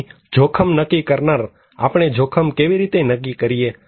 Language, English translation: Gujarati, So, determinant of risk; how we determine a risk